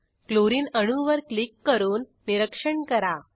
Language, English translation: Marathi, Click on Chlorine atom and observe what happens